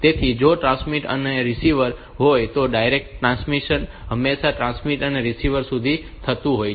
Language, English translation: Gujarati, So, if this is the transmitter and this is the receiver the directional transmission is always from the transmitter to the receiver